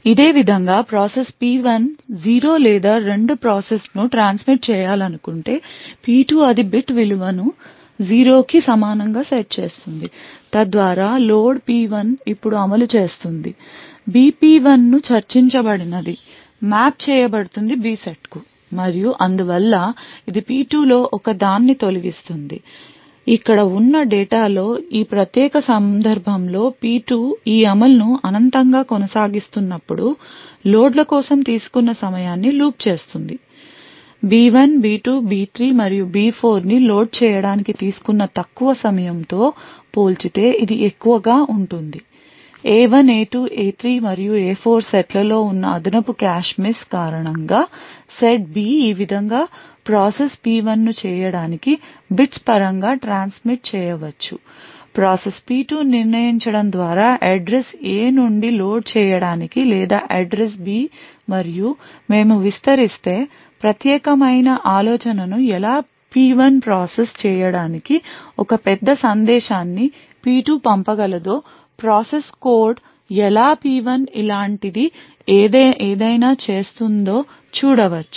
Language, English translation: Telugu, In a similar way if process P1 wants to transmit a 0 or two process P2 it would set the value of bit to be equal to 0 thus the load P1 gets executed now B P1 as we've discussed would get mapped to the B set and therefore it would evict one of the process P2 data present over here thus in this particular case when a P2 continues its execution in this infinitely while loop the time taken for the loads of B1 B2 B3 and B4 would be higher compared to the low time taken to load A1 A2 A3 and A4 and this is due to the additional cache miss that is present in the set B in this way process P1 can transmit in terms of bits to process P2 by just deciding which address to load from either to load from the address A or to load from the address B and if we just extend this particular idea we can see how a process P1 could send a large message to process P2 and the code for the process P1 would do something like this